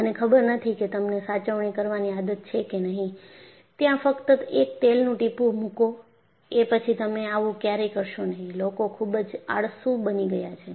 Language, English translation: Gujarati, I do not know you have a habit of preventive maintenance; just put the drop of oil; you never do that; people have become so lazy